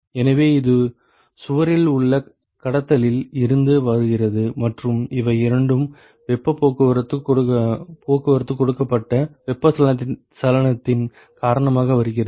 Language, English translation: Tamil, So, that comes from the conduction in the wall and these two comes because of convection given heat transport